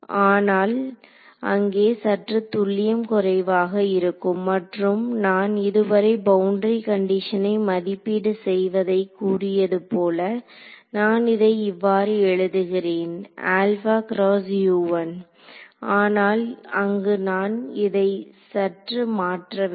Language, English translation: Tamil, So, this there is a little bit of a there is a little bit of an inaccuracy and what I guess what I have said so far in evaluating the boundary condition I have written it as alpha times U 1, but there I need to modify this a little bit ok